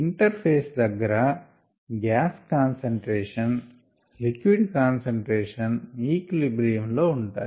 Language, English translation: Telugu, the interface concentrations on the gas and liquid side are at equilibrium